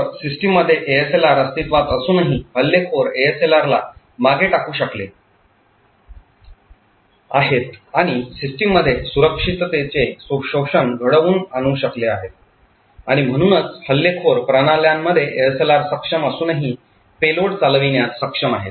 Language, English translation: Marathi, So, in spite of ASLR being present in the system, attackers have been able to bypass the ASLR and create exploits for vulnerabilities present in the system, and, therefore the attackers have been able to run payloads in spite of the ASLR enabled in the systems